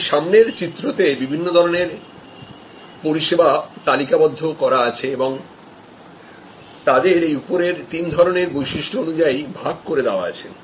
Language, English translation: Bengali, This is a diagram that list different kinds of services and puts them on these three types of attributes